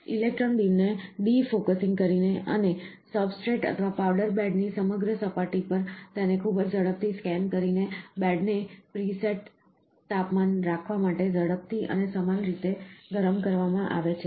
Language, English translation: Gujarati, By defocusing the electron beam and scanning it very rapidly over a entire surface of the substrate or the powder bed, the bed is preheated rapidly and uniformly to have a pre set temperature